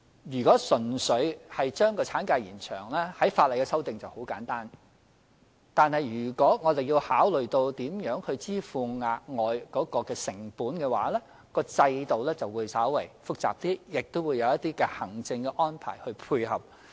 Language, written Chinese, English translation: Cantonese, 如果純粹將產假延長，相關的法例修訂很簡單；但如果要考慮如何支付涉及的額外成本，在制度上便稍為複雜，亦須有一些行政安排配合。, A pure extension of the maternity leave duration requires simple legislative amendments but if it is necessary to consider how the additional costs incurred should be met that would be more complicated institutionally and would require some complementary administrative arrangements